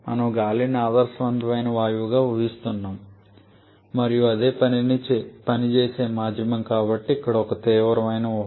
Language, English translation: Telugu, We are assuming air as the ideal gas here as an ideal gas and that is the working medium so that is one serious assumption